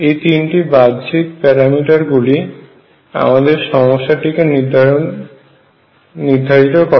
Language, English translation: Bengali, These are the 3 external parameters that determine the problem